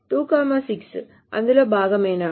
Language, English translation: Telugu, Is 26 part of it